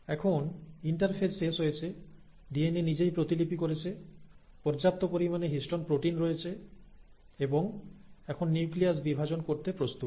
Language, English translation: Bengali, Now the interphase is over, the DNA has duplicated itself, there are sufficient histone proteins available and now the nucleus is ready to divide